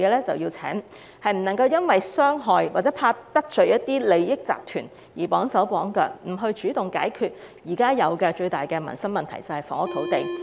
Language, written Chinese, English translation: Cantonese, 政府不能夠因害怕得罪利益集團而綁手綁腳，不主動解決現時最大民生的問題，即房屋土地問題。, The Government should not tie its hands for fear of offending certain interest groups and refuse to take the initiative to solve the greatest livelihood issue of housing and land at present